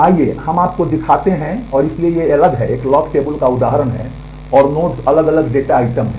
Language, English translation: Hindi, So, let us just show you and so, these are the different this is an instance of a lock table and, the nodes are different data items